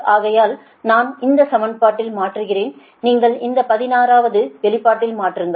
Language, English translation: Tamil, so i substitute here in in this expression you substitute for in this equation sixteen is a function of i